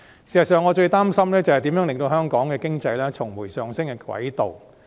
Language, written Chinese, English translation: Cantonese, 事實上，我最擔心的是如何令香港的經濟重回上升的軌道。, I am therefore not too worried about financial issues . In fact what I am most concerned about is how to put the Hong Kong economy back on the growth track